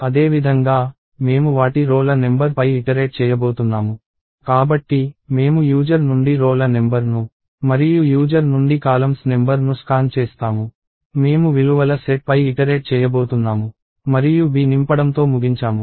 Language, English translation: Telugu, Similarly, I iterate over the number of rows of… So, I scan the number of rows from the user and columns from the user; I iterate over the set of values and end up with B filled up